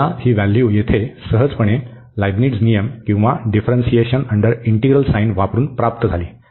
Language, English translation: Marathi, So, we got this value here by using this Leibnitz rule or the differentiation under integral sign very quite easily